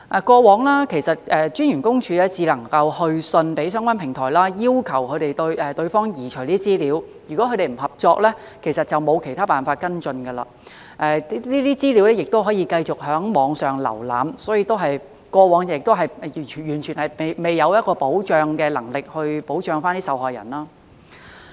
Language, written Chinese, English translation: Cantonese, 過往私隱公署只能去信相關平台，要求對方移除資料，而如果他們不合作，其實並沒有其他方法跟進，這些資料仍可繼續在網上瀏覽，所以，過往是完全沒有保障的能力來保障受害人。, In the past PCPD could only issue letters to the relevant platforms and request their removal of information . If they refused to cooperate it actually had no other means to follow up the matter and the relevant information would remain online for peoples access . Therefore I will say that it was utterly stripped of any ability to protect the victims in the past